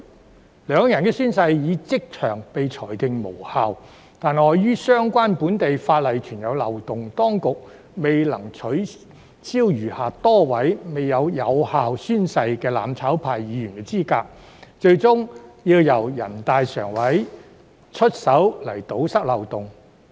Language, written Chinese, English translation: Cantonese, 雖然兩人的宣誓已即場被裁定無效，但礙於相關本地法例存在漏洞，當局未能取消餘下多位未作出有效宣誓的"攬炒派"議員的資格，最終要由人大常委會出手堵塞漏洞。, While the oaths taken by the two of them were determined invalid on the spot the Administration was unable to disqualify the remaining Members from the mutual destruction camp who had failed to take valid oaths due to the loopholes in relevant local legislation . It was NPCSC who took action and plugged the loopholes at last